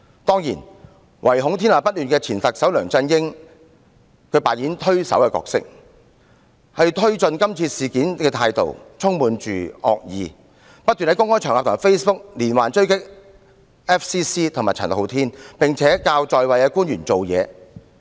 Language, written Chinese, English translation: Cantonese, 當然，唯恐天下不亂的前特首梁振英扮演着推手的角色，他推進今次事件的態度充滿惡意，不斷在公開場合和 Facebook 連環追擊外國記者會及陳浩天，並且教在位官員如何行事。, Of course former Chief Executive LEUNG Chun - ying who is too eager to create troubles has been playing the role of a facilitator . With a malicious attitude he relentlessly attacked FCC and Andy CHAN on various open public occasions and in Facebook and he taught the incumbent officials how to react